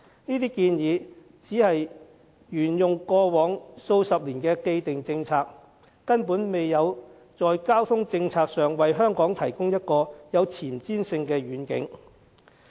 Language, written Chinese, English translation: Cantonese, 這些建議只是沿用過往數十年的既定政策，根本未有在交通政策上為香港提供一個具前瞻性的願景。, These proposals simply follow the established policies adopted in the past few decades failing to provide a forward - looking vision on transport policy for Hong Kong